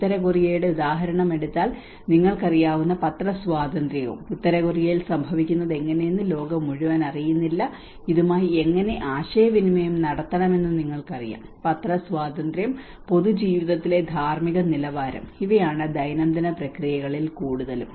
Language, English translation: Malayalam, And the press freedom you know like if you take the example of North Korea you know how what is happening in North Korea may not be known to the whole world you know how to communicate with this, the press freedom, ethical standards in public life and these are more of the everyday processes